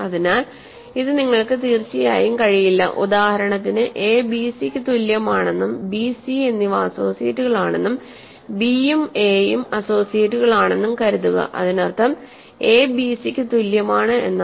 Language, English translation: Malayalam, So, we cannot have, of course, if just to give you illustrate this; suppose a is equal to bc and b is an b and c are associates, b and a are associates; this means that we have a is equal to bc